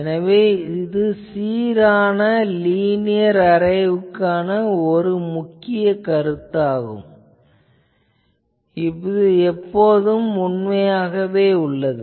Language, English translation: Tamil, So, this is one of the observation for an uniform linear array, it is always true